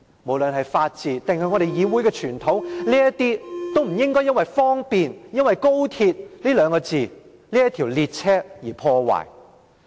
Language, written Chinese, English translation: Cantonese, 無論是法治，還是議會的傳統，都不應因為"方便"，因為高鐵這列車，而遭到破壞。, The rule of law and the tradition of this Council should not be undermined because of XRL for convenience sake